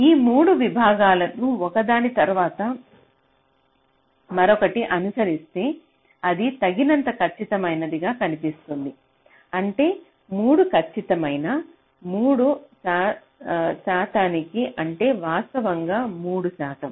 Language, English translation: Telugu, ok, so if you use three segments, one followed by another, followed by other, that is seen to be accurate enough, which is means three accurate to three percent, that is, three percent of the actual